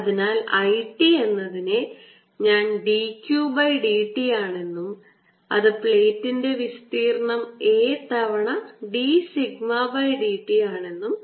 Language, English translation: Malayalam, so i t is d q d t is going to be the area of the plate a times d sigma d t